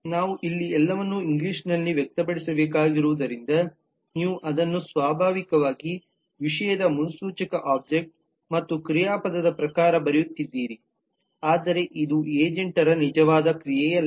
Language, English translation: Kannada, since we have to express everything here in english you are writing it in terms of naturally subject predicate object and verb and all that, but this is not actual an action of an agent